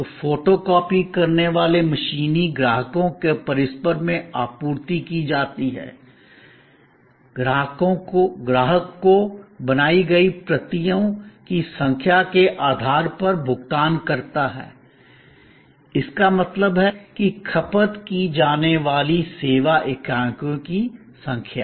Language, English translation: Hindi, So, photo copying machines are supplied at the customers premises, the customer pays on the basis of base of number of copies made; that means number of service units consumed